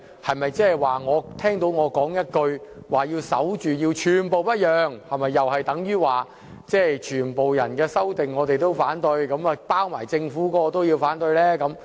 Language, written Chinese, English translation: Cantonese, 他表示聽到我說"要守住，寸步不讓"，是否等於我會反對所有修正案，包括政府提出的修正案。, He said he heard me saying I have to guard the gate and never budge an inch and thus queried if I would be opposing all the amendments including that proposed by the Government